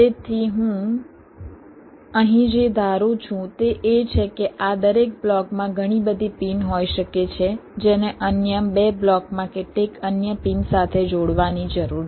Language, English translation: Gujarati, so what i here assume is that in each of these blocks there can be several pins which need to be connected to several other pins in other two blocks